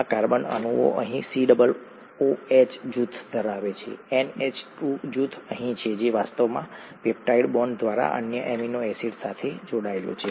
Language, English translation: Gujarati, This has a COOH group here this carbon atom; the NH2 group here which is actually bonded on through the peptide bond to the other amino acid